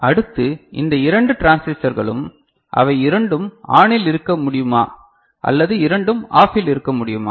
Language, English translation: Tamil, Next is these two transistors, can both of them be ON or both of them be OFF